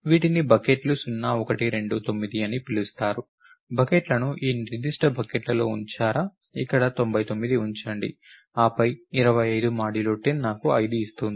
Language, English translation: Telugu, So, goes into these are called buckets 0, 1, 2, 9 are the buckets are put it in this particular bucket, put 99 over here, then 25 percent 10 gives me 5